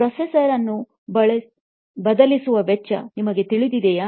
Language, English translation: Kannada, Do you know the cost of the replacing a processor